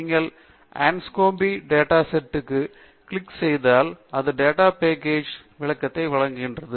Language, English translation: Tamil, If you click on the Anscombe data set, it gives you a description of the data set